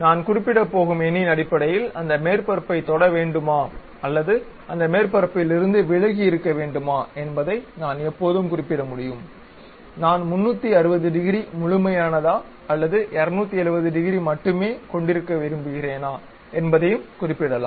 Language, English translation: Tamil, So, based on the number what I am going to specify uh I can always specify whether it should really touch that surface or should away from that surface also whether I would like to have complete 360 degrees or only 270 degrees